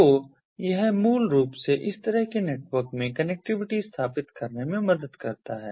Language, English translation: Hindi, so so it basically helps in ah establishing connectivity in this kind of networks